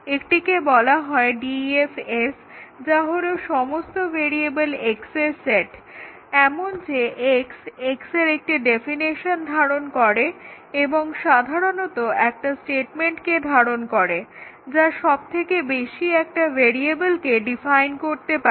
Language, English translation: Bengali, If the statement number is S, we define DEF S which is the set of all variables X, such that X contains a definition of X and typically a statement at most defines one variable